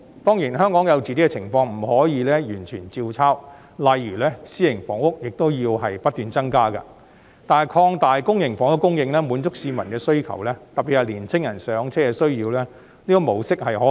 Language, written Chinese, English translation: Cantonese, 當然，香港有自己的情況，不可能完全照抄，例如私營房屋亦要不斷增加，但擴大公營房屋供應，滿足市民的需要——特別是年輕人"上車"的需要——這個模式是可行的。, Certainly Hong Kong has its own circumstances and it is impossible to make an exact copy . For example private housing has to be continuously increased . That said it is a viable model to supply more public housing in order to satisfy peoples needs―particularly young peoples need for home ownership